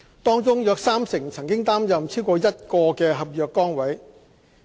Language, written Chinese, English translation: Cantonese, 當中約三成曾擔任超過一個合約崗位。, About 30 % of them have been undertaking more than one NCSC position